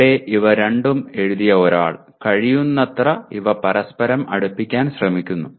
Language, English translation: Malayalam, Here is someone who has written these two trying to bring them as close to each other as possible